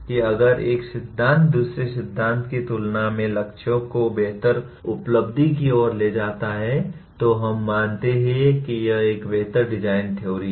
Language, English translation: Hindi, That if one theory leads to better achievement of goals when compared to another theory, then we consider it is a better designed theory